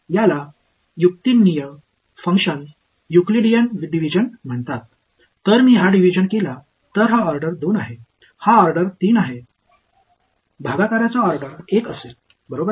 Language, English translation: Marathi, It is called Euclidean division of rational functions, if I do this division this is order 2, this is order 3, the quotient will be order 1 right